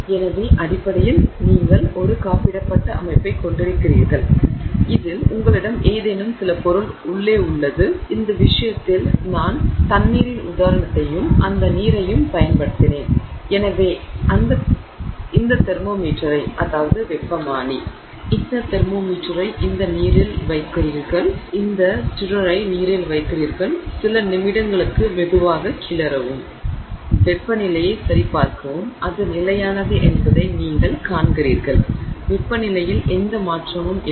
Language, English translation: Tamil, So, you essentially have insulated setup which inside which you have some substance in this case I have just used the example of water and in that water so you put this thermometer into this water you put this stir in the water you stir in the water you stir it gently for some few minutes and then you check the temperature